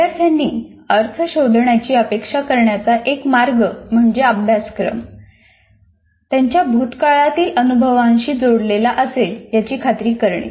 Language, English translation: Marathi, And one of the ways we expect students to find meaning is to be certain that the curriculum contains connections to their past experiences